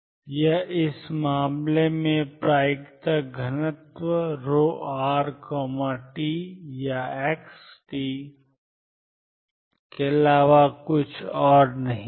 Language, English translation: Hindi, This is nothing but the probability density rho r t or x t in this case